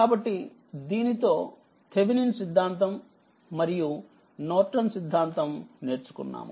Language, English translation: Telugu, So, with this we have learned Thevenin theorem and Norton theorems